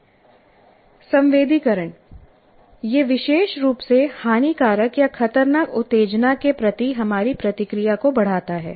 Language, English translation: Hindi, Sensitization, what it means it increases our response to a particularly noxious or threatening stimulus